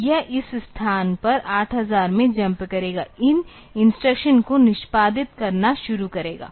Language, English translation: Hindi, So, it will jump to this location 8000; start executing these instructions